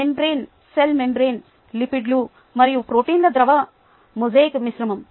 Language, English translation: Telugu, the membrane, the cell membrane, is a fluid mosaic mixture of lipids and proteins